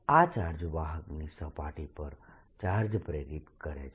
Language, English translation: Gujarati, this charge induces charge on the surface of the conductor